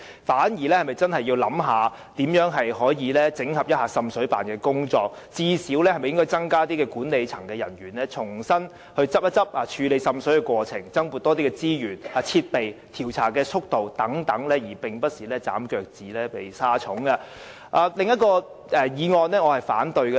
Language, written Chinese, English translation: Cantonese, 我們反而應考慮整合滲水辦的工作，最低限度應考慮會否增加管理層人員，重新檢討處理滲水過程，增撥資源和添置設備，以及改善調查速度等，而非捨本逐末地削減預算。, Rather than putting the cart before the horse and cutting the expenditure of the Joint Office we should consider the idea of reorganizing its work . We should at least consider whether management personnel should be deployed to it for the purpose reviewing the procedures of handling water seepage cases . We should also consider the provision of additional resources and equipment and also the speeding up of investigation